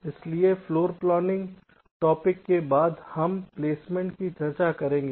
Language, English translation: Hindi, ok, so after floorplanning, the topic that we shall be discussing is called placement